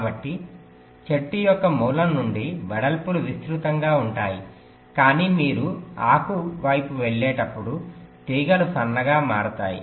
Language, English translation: Telugu, ok, so from the root of the tree, the, the widths will be wider, but but as you moves towards the leaf, the wires will become thinner and thinner